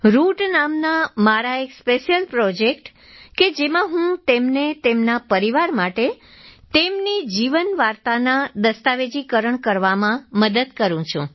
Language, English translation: Gujarati, In my special project called 'Roots' where I help them document their life stories for their families